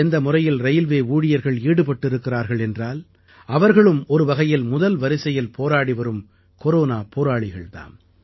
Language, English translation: Tamil, The way our railway men are relentlessly engaged, they too are front line Corona Warriors